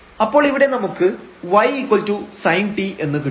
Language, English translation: Malayalam, So, we will get here minus sin t